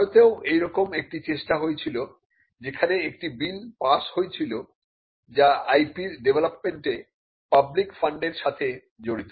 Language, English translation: Bengali, In India we had a similar attempt there was a bill which was passed which covered the public funds used in developing intellectual property